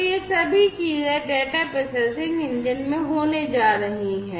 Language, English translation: Hindi, So, all of these things are going to be done at the data processing engine